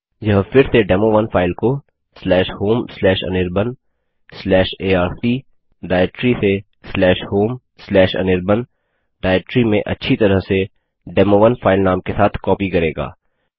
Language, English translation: Hindi, This will again copy the file demo1 presenting the /home/anirban/arc/ directory to /home/anirban directory to a file whose name will be demo1 as well